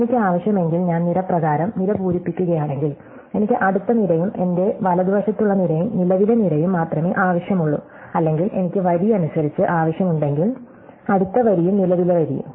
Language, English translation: Malayalam, So, if I need, if I fill column by column I only need the next column, the column on my right and the current column or if I need row by row, the next row and the current row